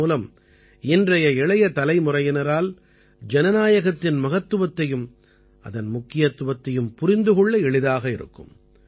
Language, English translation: Tamil, This will make it easier for today's young generation to understand the meaning and significance of democracy